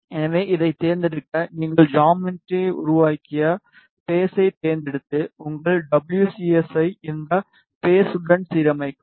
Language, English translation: Tamil, So, to select this, select the phase in which you have made the geometry then align your WCS with this phase